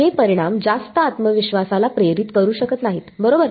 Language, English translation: Marathi, These results may not inspire too much confidence right